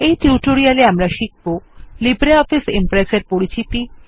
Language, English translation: Bengali, Welcome to the tutorial on Introduction to LibreOffice Impress